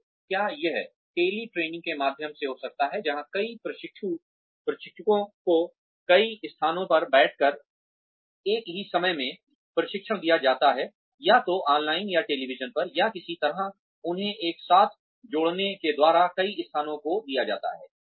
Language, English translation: Hindi, So, will it be through tele training, where many trainees, many locations are given, sitting in, in many locations are given, training at the same time, either online or over television, or by some way of connecting them together